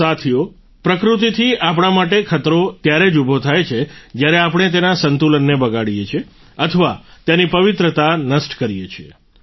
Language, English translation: Gujarati, nature poses a threat to us only when we disturb her balance or destroy her sanctity